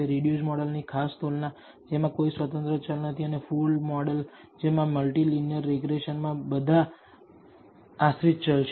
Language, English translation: Gujarati, This particular comparison between the reduced model which has no independent variables and the full model which contains all the independent variables in multi linear regression